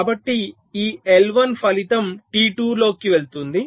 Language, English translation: Telugu, so this i one in the result will go to t two